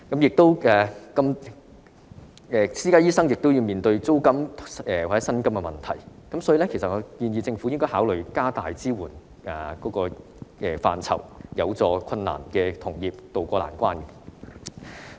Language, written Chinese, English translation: Cantonese, 私家醫生亦要面對租金或薪金的問題，因此政府應考慮擴大支援範疇，協助有困難的同業渡過難關。, Private doctors also have to face problems in paying rent or wages . As such the Government should consider expanding the scope of its support measures in a bid to help fellow practitioners to ride out this difficult time